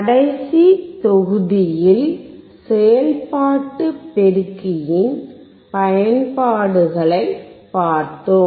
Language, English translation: Tamil, In the last module we have seen the applications of operation amplifier